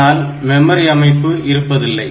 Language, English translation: Tamil, But it does not have memory and all that